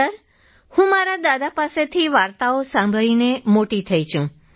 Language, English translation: Gujarati, Sir, I grew up listening to stories from my grandfather